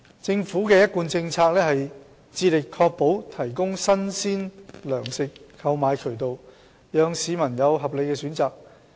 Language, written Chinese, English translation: Cantonese, 政府的一貫政策是致力確保提供新鮮糧食的購買渠道，讓市民有合理選擇。, It is the established policy of the Government to endeavour to secure access to purchase of fresh provisions thus enabling the public to have reasonable options